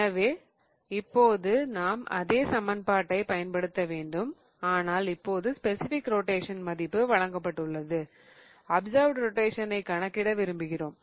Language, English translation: Tamil, So, now we have to use the same equation but now we have been given the specific rotation and we want to calculate the observed rotation